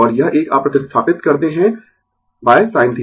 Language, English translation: Hindi, And this one you replace by sin theta